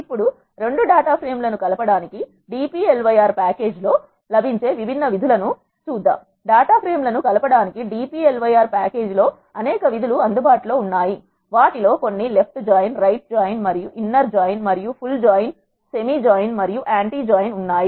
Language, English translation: Telugu, There are several functions that are available in the dplyr package to combine data frames, few of them are left join, right join and inner join and there are full join, semi join and anti join